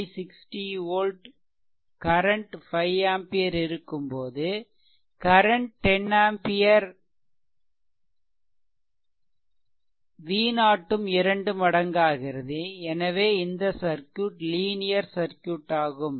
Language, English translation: Tamil, So, it was 20 by 60 volt when current was 5 ampere, i is equal to 5 ampere, when i was made 10 that is doubled so voltage also had became doubled